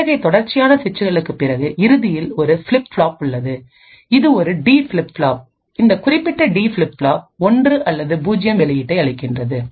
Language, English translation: Tamil, After a series of such switches we eventually have a flip flop, this is a D flip flop, this particular D flip flop gives an output of 1 or 0